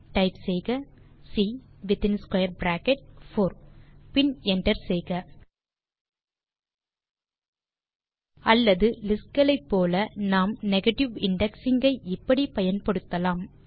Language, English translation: Tamil, We could say,so type C within square bracket 4 and hit enter or as with lists,we could use negative indexing and say,C within bracket 1